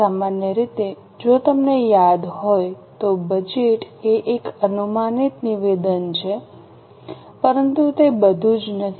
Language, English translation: Gujarati, In general, if you remember, budget is an estimated statement